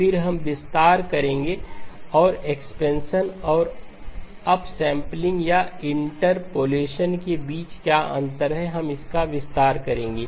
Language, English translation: Hindi, Again, we will expand what is the difference between expansion and upsampling or interpolation, we will expand that